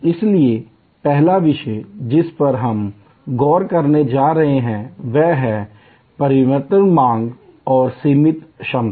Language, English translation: Hindi, So, the first topic that we are going to look at is the challenge of variable demand and constrained capacity